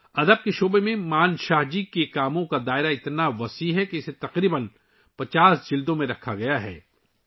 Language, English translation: Urdu, The scope of Manshah ji's work in the field of literature is so extensive that it has been conserved in about 50 volumes